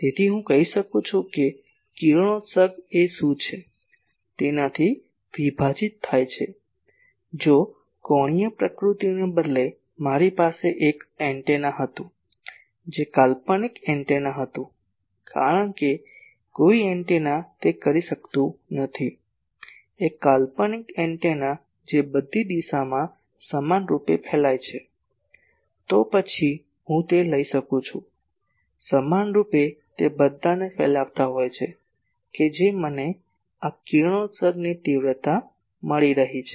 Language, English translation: Gujarati, So, I can say , radiation divided by what is the if instead of angular nature, I had an antenna which was fictitious antenna because no antenna can do that , a fictitious antenna which can radiate equally in all direction, then I could have taken that equally it is radiating all with respect to that I am finding the radiation intensity of this